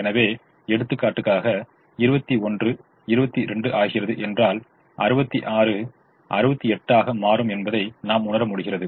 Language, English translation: Tamil, so for the sake of illustration, if twenty one becomes twenty two, then i realize that sixty six would become sixty eight